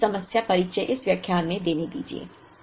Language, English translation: Hindi, Let me introduce this that problem in this lecture